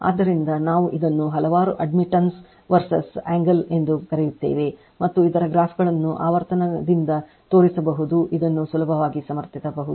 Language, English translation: Kannada, So, we this your what you call several admittance verses angle other graphs are shown frequency right from that you can easily you can easily justify this one